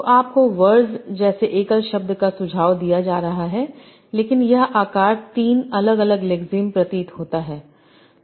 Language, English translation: Hindi, So you are having as such a single word like verge, but it appears as three different lexemes